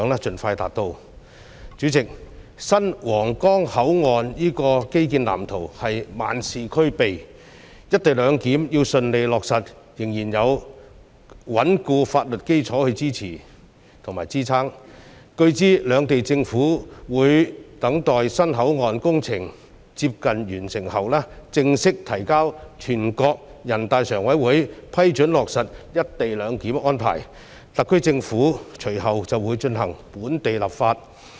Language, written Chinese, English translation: Cantonese, 主席，新皇崗口岸這基建藍圖是萬事俱備，但"一地兩檢"要順利落實，仍然需要有穩固法律基礎支撐，據知兩地政府會等待新口岸工程接近完成後，正式提請全國人大常委會批准新皇崗口岸落實"一地兩檢"安排，特區政府隨後便會進行本地立法。, President everything about the infrastructural blueprint of the new Huanggang Port is already in place but the smooth implementation of co - location arrangement still requires the support of a sound legal basis . As learnt the two governments will formally seek approval of the Standing Committee of the National Peoples Congress for the implementation of co - location arrangement at the new Huanggang Port when the construction works of the new port is near completion . The SAR Government will then proceed with the work on local legislation